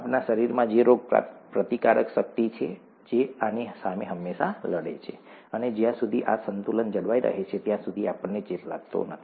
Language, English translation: Gujarati, Our body has immune system which fights against this all the time, and as long as this balance is maintained, we don’t get infection